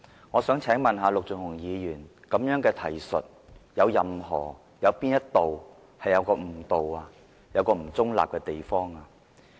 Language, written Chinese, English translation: Cantonese, "我想請問陸頌雄議員，這樣的提述有哪個地方誤導、不中立？, Which part of this question is misleading and not neutral may I ask Mr LUK Chung - hung?